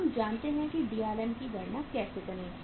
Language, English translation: Hindi, We know how to calculate Drm